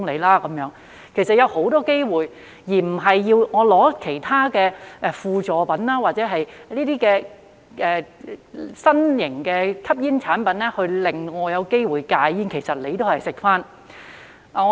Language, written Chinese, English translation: Cantonese, 戒煙其實是有很多機會的，而不是要用其他輔助品或新型吸煙產品，令人有機會戒煙——但其實這同樣也是在吸煙。, In fact there are many opportunities to quit smoking not by using other quit - smoking aids or novel smoking products―it is still smoking all the same